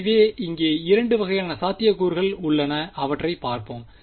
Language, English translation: Tamil, So, let us see there are sort of 2 possibilities over here